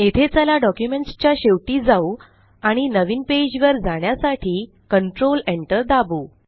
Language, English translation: Marathi, Here let us go to the end of the document and press Control Enter to go to a new page